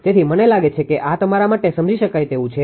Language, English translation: Gujarati, So, I think ah this is understand understandable to you, right